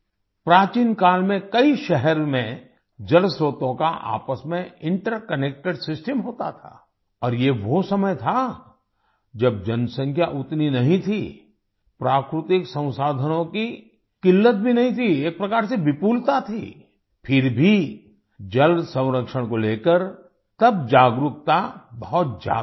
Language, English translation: Hindi, In ancient times, there was an interconnected system of water sources in many cities and this was the time, when the population was not that much, there was no shortage of natural resources, there was a kind of abundance, yet, about water conservation the awareness was very high then,